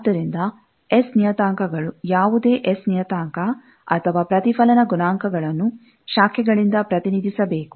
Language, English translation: Kannada, So, S parameters, any S parameter, they are, or reflection coefficient, they are, they should be represented by a branch